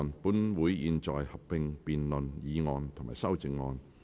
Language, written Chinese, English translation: Cantonese, 本會現在合併辯論議案及修正案。, This Council will conduct a joint debate on the motion and the amendments